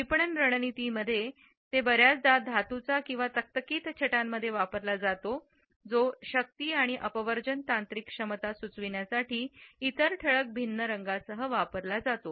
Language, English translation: Marathi, In marketing strategies, it has often been used in metallic and glossy shades often contrasted with other bold colors for suggesting power and exclusivity as well as technical competence